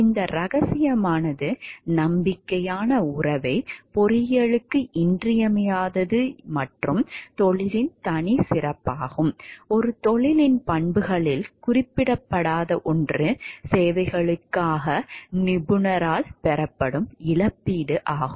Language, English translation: Tamil, These confidential it is essential for engineering a trusting relationship and is the hallmark of profession, one thing not mentioned in the attributes of a profession is the compensation received by the professional for a services